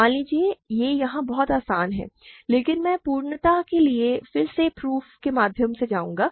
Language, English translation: Hindi, Suppose so, it is very easy here, but I will just go through the proof again for completeness